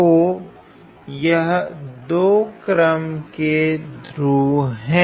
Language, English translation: Hindi, So, these are poles of order 2